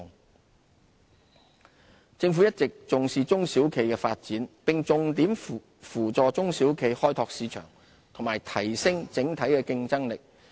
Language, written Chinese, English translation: Cantonese, 扶助中小企政府一直重視中小企的發展，並重點扶助中小企開拓市場和提升整體競爭力。, The Government has always attached great importance to the development of SMEs and rendered them key assistance in tapping new markets and enhancing overall competitiveness